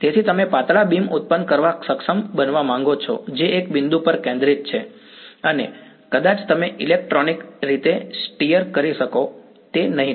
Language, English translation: Gujarati, So, you want to be able to produce thin beams which are focused at one point and maybe you can electronically steer it will not